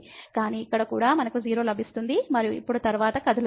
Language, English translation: Telugu, So, here also we get 0 and now moving next